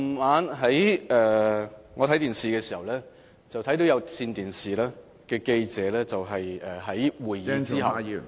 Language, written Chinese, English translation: Cantonese, 我昨晚看電視時，看到有線電視的記者在會議......, I saw on television last night that after the meeting an i - Cable News reporter